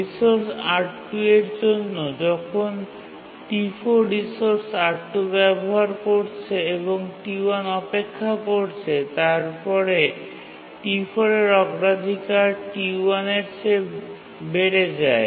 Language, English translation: Bengali, When T4 is using the resource R2 and T1 is waiting, T4's priority gets increased to that of T1